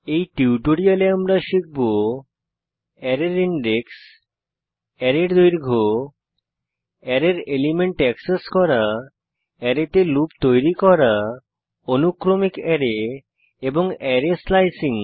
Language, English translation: Bengali, In this tutorial, we have learnt to Find index of an array Find length of an array Access elements of an array Loop over an array Sequenial Array Array Slicing using sample programs